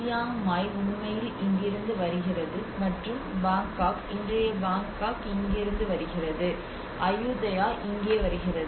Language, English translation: Tamil, And Chiang Mai actually comes from here and the Bangkok, the today’s Bangkok comes from here and Ayutthaya some somewhere here